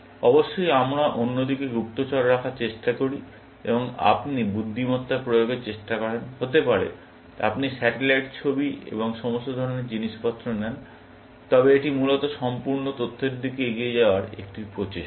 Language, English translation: Bengali, Of course, we try to have spies on the other side, and you try to have intelligence, may be, you take satellite images and all kinds of stuffs, but that is an effort to move towards the complete information, essentially